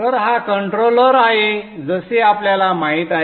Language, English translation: Marathi, So this is the controller as we know it